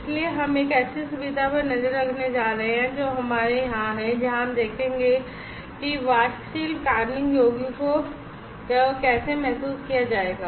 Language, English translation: Hindi, So, we are going to have a look at other facility that we have over here where we will see how volatile organic compounds would be sensed